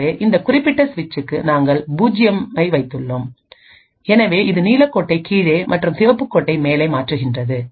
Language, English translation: Tamil, So over here for the example you see that we have poured 0 for this particular switch and therefore it switches the blue line to the bottom and the Red Line on top and so on